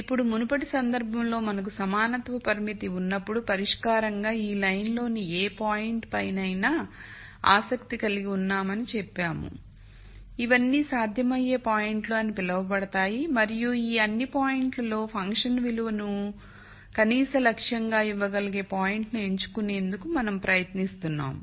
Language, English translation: Telugu, Now in the previous case we said when we have an equality constraint we said we are interested in any point on this line as a candidate solution these are all called the feasible points and of all of these points we were trying to pick the point which will give me the minimum objective function value